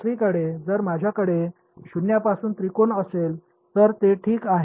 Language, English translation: Marathi, On the other hand if I had a triangle starting from zero, then it is fine ok